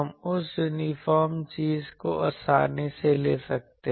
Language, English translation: Hindi, We can easily take this uniform thing